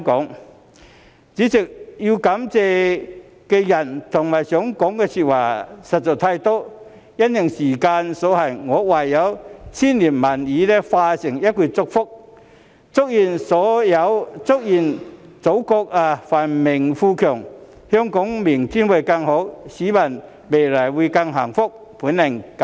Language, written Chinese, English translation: Cantonese, 代理主席，要感謝的人和想說的話實在太多，但因時間所限，我唯有將千言萬語化成一句祝福：祝願祖國繁榮富強，香港明天會更好，市民未來會更幸福。, Deputy President I wish to thank many people and talk about many things . But due to time constraint I can only condense my numerous thoughts into one blessing May the Motherland be prosperous and strong; may Hong Kong have a brighter tomorrow; may people be filled with greater joy in the days ahead